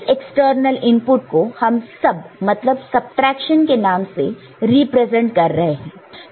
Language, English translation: Hindi, So, this external input we are representing as SUB, standing for subtraction right